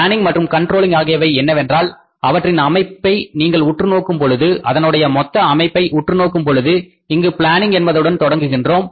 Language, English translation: Tamil, Planning and controlling means if you look at this structure, total structure we have here, we are starting here with the planning, right